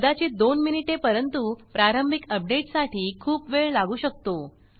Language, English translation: Marathi, Maybe a couple of minutes but the initial update could take a lot of time